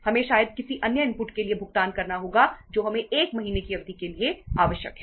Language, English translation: Hindi, We have to uh pay for maybe uh any other input which we require for a period of 1 month